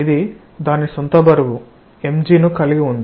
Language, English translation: Telugu, This has its own weight, so some mg